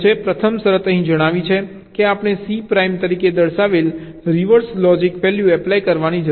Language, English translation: Gujarati, the first condition says: here we need to apply ah, reverse logic value, i denoted as c prime